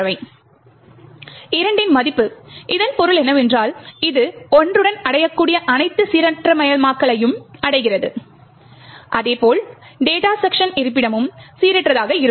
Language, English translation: Tamil, With the value of 2, what it means is that, it achieves all the randomization that is achieved with 1 as well as the data segment location are also randomized